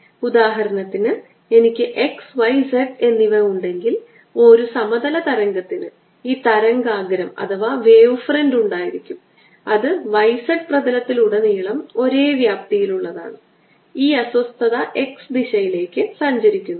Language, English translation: Malayalam, so for example, if i have x, y and z, a plane wave would have this wave front which has the same amplitude all over by the plane, and this, this disturbance, travels in the y direction